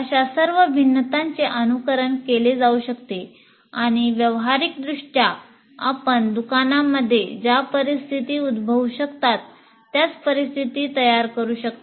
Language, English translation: Marathi, So all such variations can be simulated and practically create exactly the same circumstances that you can encounter in a shop like that